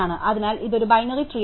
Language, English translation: Malayalam, So, this will be a binary tree